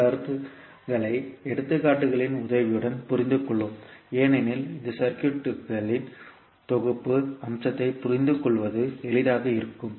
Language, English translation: Tamil, So let us understand these concepts with the help of examples because that would be easier to understand the Synthesis aspect of the circuit